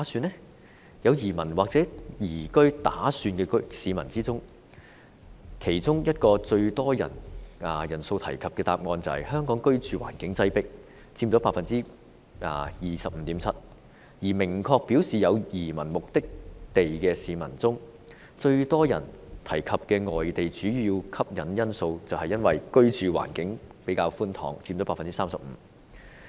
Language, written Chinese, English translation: Cantonese, 在有移民或移居打算的市民中，其中一個最多人提及的答案是香港居住環境擠迫，佔 25.7%， 而明確表示有移民目的地的市民中，最多人提及的外地主要吸引因素是居住環境較為寬敞，佔 35%。, For those people intending to emigrate one of the answers mentioned by most people was overcrowded living conditions in Hong Kong accounting for 25.7 % and for people who clearly stated a destination for emigration the pull factor mentioned by most people was ample living space accouting for 35 % . These findings are self - explanatory